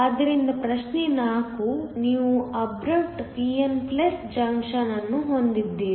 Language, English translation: Kannada, So, problem 4 you have an abrupt pn+ junction